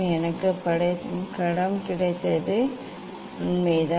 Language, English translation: Tamil, I got the image; yes